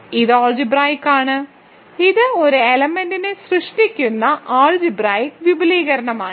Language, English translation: Malayalam, It is algebraic hence it is finite an algebraic extension generated by a single element is finite